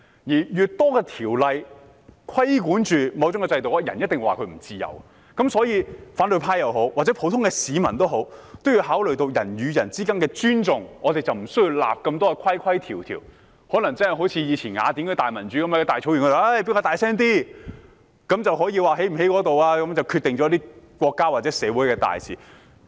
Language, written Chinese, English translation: Cantonese, 越多條例對某種制度作出規管時，總有人覺得不自由，所以，反對派也好，普通市民也好，均要考慮人與人之間的尊重，這樣便無需訂立太多規條，更可能可以好像以前雅典的民主樣式，在大草原上誰說得大聲一點便可決定國家或社會大事。, When a system is brought under increasingly more legislative regulation or control there are always people who feel unfree . Therefore to both the opposition camp and ordinary citizens it is necessary to consider the need to respect each other . This would obviate the need to enact regulations and rules excessively and we could even practise the Athenian democracy back in the ancient times when whoever spoke more loudly on a prairie could make major decisions for the state or society